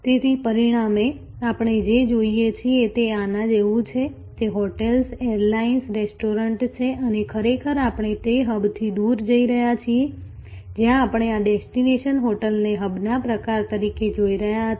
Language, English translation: Gujarati, So, as a result, what we see is like this, that hotels, airlines, restaurants, so this is actually we are moving away from that hub and spoke, where we were looking at this destination hotel as the kind of a hub